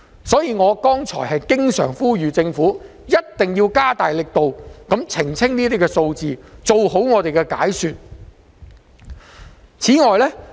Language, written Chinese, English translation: Cantonese, 所以，我剛才不斷呼籲政府必須加大力度澄清有關數字，做好解說工作。, For that reason just now I kept on urging the Government to make more efforts to clarify the relevant figures and make good explanations